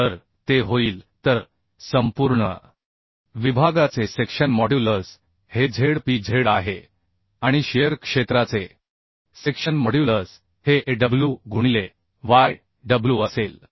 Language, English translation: Marathi, section modulus of the whole section is Zpz and section modulus of the shear area will be Aw into Yw